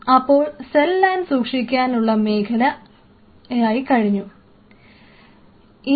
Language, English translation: Malayalam, So, you will have cell line storage